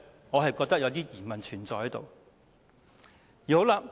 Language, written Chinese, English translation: Cantonese, 我覺得當中存在一點疑問。, I think there is a question mark over this